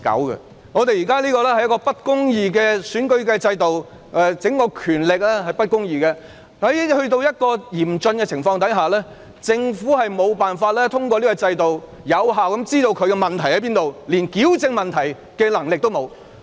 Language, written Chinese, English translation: Cantonese, 由於現時的選舉制度並不公義，權力也不公義，所以遇上嚴峻的情況時，政府無法透過制度有效得知政府的問題所在，以致連矯正問題的能力也沒有。, Given injustice in the current electoral system and injustice in respect of powers when a critical situation arises it is impossible for the Government to effectively find out its problems and as a result the Government does not even have the ability to rectify them